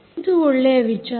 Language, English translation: Kannada, right, that is an issue